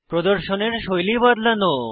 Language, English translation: Bengali, Change the style of the display